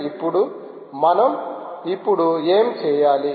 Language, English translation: Telugu, so now, what shall we do now